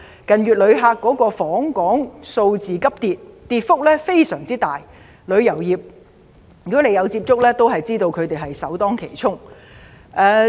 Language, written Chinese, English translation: Cantonese, 近月訪港旅客數字急跌，跌幅非常大，如果你有接觸過旅遊業界人士的話，便會知道他們首當其衝。, Inbound tourists have plummeted over the past months . The drop is large . If you have come into touch with members of the industry you should know they are the first being hard hit